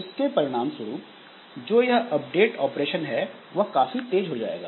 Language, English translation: Hindi, And as a result, this overall update operation will done faster